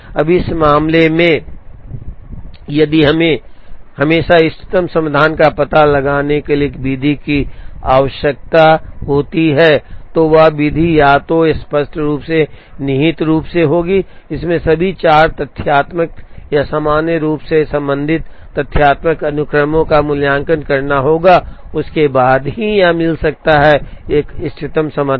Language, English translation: Hindi, Now, in this case, if we need a method to find out the optimum solution always then that method would either explicitly or implicitly, it has to evaluate all the 4 factorial or in general n factorial sequences that are possible and then only it can gives an optimum solution